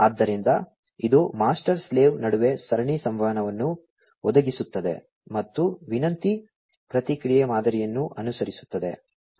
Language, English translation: Kannada, So, it provides the serial communication between the master/slave and follows a request/response model